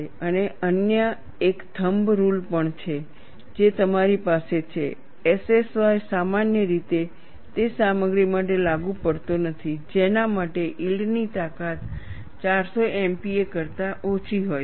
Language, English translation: Gujarati, And there is also another thumb rule that you have SSY is generally not applicable for materials, for which the yield strength is less than 400 mpa